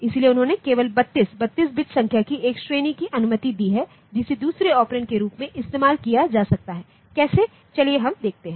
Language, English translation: Hindi, So, they have allowed only a category of 32, 32 bit numbers that can be used as the second operand, how let us see